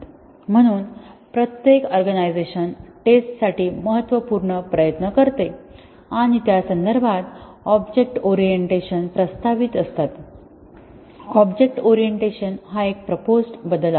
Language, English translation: Marathi, So, every organization spends significant effort on testing and in that context, the object orientation was a welcome change when object orientation was proposed